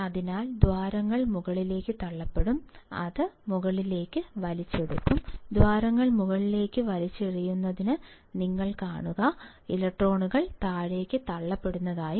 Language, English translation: Malayalam, So, holes will be pushed up, it will be pulled up; you see holes will be pulled up, electrons will be pushed down